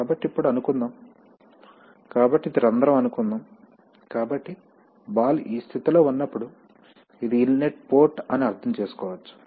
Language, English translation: Telugu, So now, suppose, so this is the hole suppose, so when the ball is in this position then you can understand that this is the inlet port